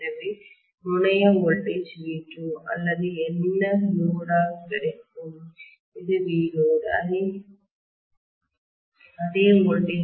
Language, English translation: Tamil, So I am going to have the terminal voltage V2 or what is available across the load, this is also V load